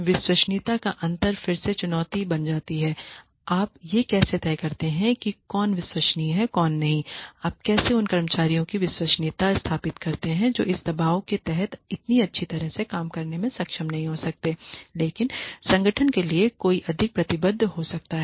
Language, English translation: Hindi, Credibility gap again becomes a challenge; how do you decide who is credible enough who is not how do you establish the credibility of employees who may not be able to work so well under this much of pressure, but who may be much more committed to the organization